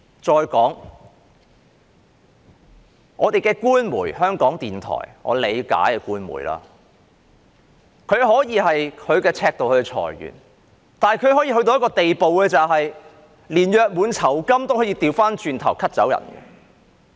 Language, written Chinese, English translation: Cantonese, 再說，香港的官媒——香港電台，即我理解的官媒，可以按其尺度來裁員，但也可以到一個地步，連僱員的約滿酬金也 cut 掉。, Furthermore Radio Television Hong Kong an official media of Hong Kong as I understand it can make layoffs according to its own criteria but it can also go so far as to take a cut of its employees gratuity